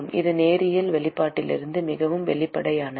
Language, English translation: Tamil, It is linear, very obvious from the expression